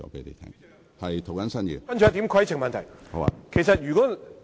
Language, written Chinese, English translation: Cantonese, 接下來是一項規程問題。, My next point is a point of order